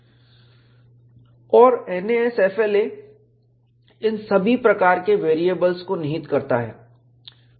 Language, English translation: Hindi, And NASFLA encompasses all of these variables